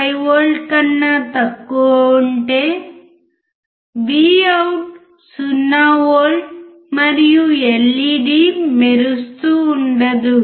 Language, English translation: Telugu, 5V, Vout is 0V and LED will not glow